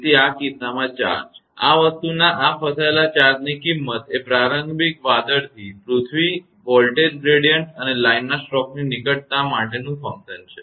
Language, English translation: Gujarati, So, in this case; a charge, this thing the magnitude of this trapped charge is a function of initial cloud to earth voltage gradient and the closeness to the stroke to the line